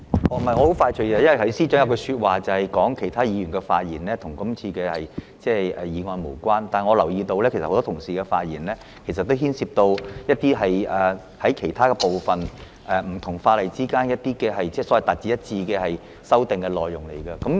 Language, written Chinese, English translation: Cantonese, 我很快的，因為司長剛才說其他議員的發言與今次議案無關，但我留意到很多其他同事的發言內容也牽涉到其他有關部分，包括希望不同法例之間用詞達致一致的修訂內容。, I will be brief . The Secretary for Justice just said that the speeches of other Members were irrelevant to this motion yet I notice that the contents of speeches made by many other colleagues also involved other relevant parts including the amendment aiming to standardize the wordings used in different ordinances